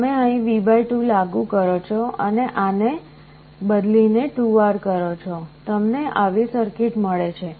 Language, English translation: Gujarati, So, you apply V / 2 here and 2R to replace this, you get a circuit like this